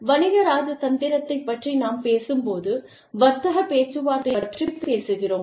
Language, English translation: Tamil, When we talk about, commercial diplomacy, we are talking about, trade negotiations